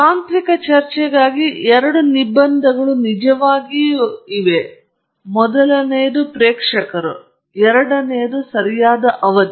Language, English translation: Kannada, There are really two constraints for a technical talk: the first is audience and the second is the duration okay